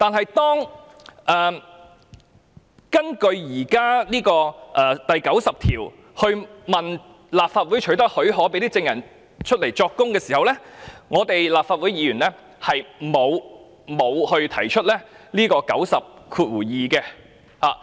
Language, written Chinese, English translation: Cantonese, 不過，在根據《議事規則》第90條向立法會取得許可，讓證人出庭作供時，立法會議員並沒有引用第902條。, But when leave of the Legislative Council was sought under RoP 90 for witnesses to give evidence in court RoP 902 was not invoked by Members of the Legislative Council